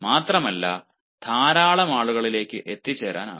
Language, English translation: Malayalam, moreover, lot of people can be reached